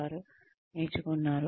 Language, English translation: Telugu, They have learnt